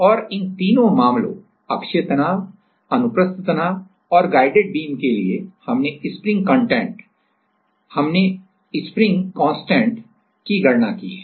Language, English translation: Hindi, And, all of these three cases axial stress, transverse stress and also the guided beam all of these cases we have calculated the spring constant